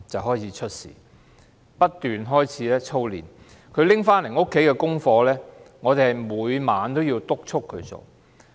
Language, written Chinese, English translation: Cantonese, 學校不斷操練，他帶回家的功課，我們每晚也要督促他完成。, As the school kept drilling students we had to supervise the completion of his homework every night